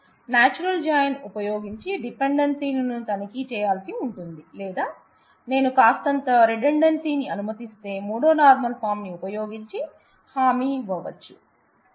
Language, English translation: Telugu, So, dependencies will have to be checked using natural join or, I will allow a little bit of redundancy and use the third normal form where I have the guarantee